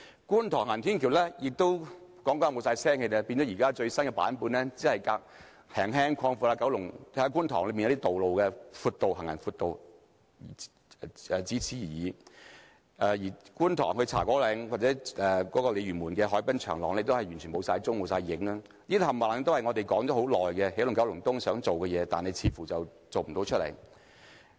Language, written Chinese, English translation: Cantonese, 觀塘行人天橋討論多年後，仍然沒有消息，而最新版本只是略為擴闊觀塘的行人路而已，而觀塘至茶果嶺或鯉魚門的海濱長廊，也完全不見蹤影，這些全部都是我們談了很久，希望起動九龍東能夠做到的事情，但似乎都無法做到。, The latest news is that the pavements in Kwun Tong will only be slightly widened and that is it . Nothing has been mentioned about the waterfront promenade from Kwun Tong to Cha Kwo Ling which we have also discussed for a long time . It seems that Energizing Kowloon East has failed to accomplish anything to meet our expectation